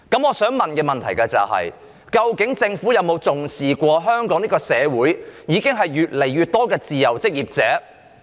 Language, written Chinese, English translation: Cantonese, 我想問的是，究竟政府有否重視香港社會越來越多的自由職業者？, My question is Has the Government attached importance to the rising number of freelancers in Hong Kong?